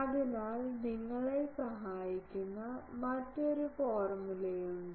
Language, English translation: Malayalam, So, there the there is another formula which will help you